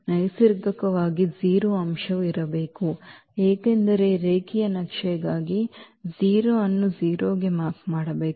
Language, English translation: Kannada, Naturally, the 0 element must be there because the 0 must map to the 0 for the linear map